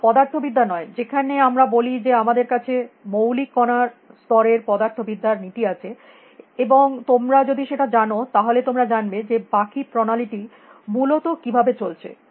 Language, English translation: Bengali, Nor the physics we say we have laws of physics of the fundamental particle level, and if you know that, you will know how the rest of the system is having essentially